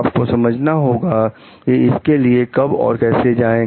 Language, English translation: Hindi, You have to understand, when to go for it and how